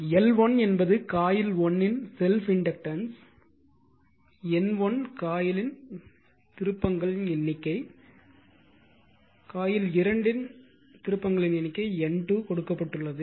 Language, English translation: Tamil, So, L 1 is the self inductance of coil 1 everything is given all nomenclature is given L 2 self inductance of coil 2 N 1 number of turns of coil 1 given N 2 number of turns coil 2 is given